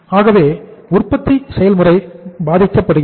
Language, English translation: Tamil, So the production process is getting affected